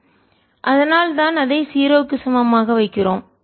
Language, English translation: Tamil, so that is why we are putting in it equal to it